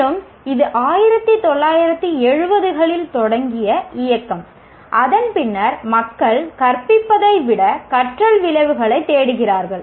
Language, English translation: Tamil, And this is a movement that started in 1970s and from then onwards people are looking for the learning outcomes rather than the teaching